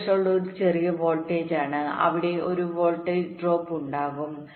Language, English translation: Malayalam, v threshold is a small voltage and there will be a voltage drop